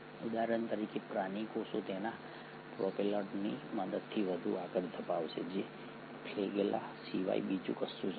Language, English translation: Gujarati, Animal cells for example sperm will propel further with the help of its propeller which is nothing but the flagella